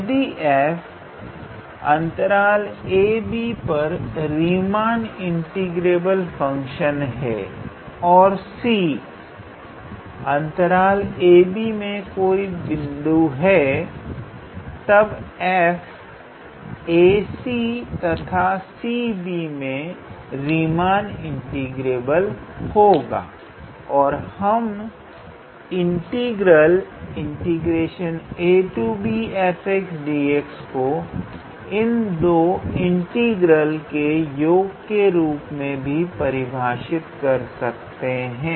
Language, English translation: Hindi, So, if f is a Riemann integrable function on a b and c is any arbitrary point between the interval a comma b then f is Riemann integrable on a to c and c to b and we can write the integral from a to b f x d x as the sum of these 2 integrals